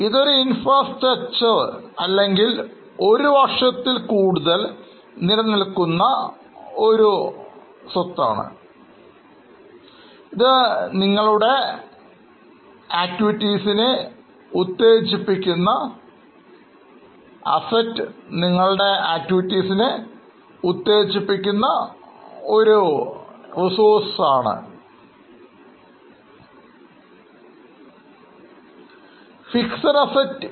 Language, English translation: Malayalam, This is a infrastructure or a property which is going to last for more than one year it acts as a catalyst in our operations